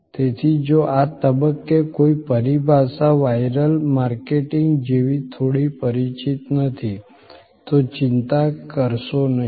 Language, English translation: Gujarati, So, if something a terminology is a little not familiar at this stage like viral marketing, do not bother